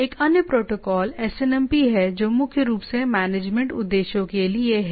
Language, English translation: Hindi, Another protocol is SNMP which is mainly for management purpose